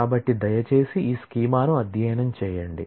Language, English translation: Telugu, So, please study this schema